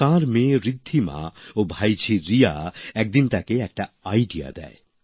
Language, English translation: Bengali, One day his daughter Riddhima and niece Riya came to him with an idea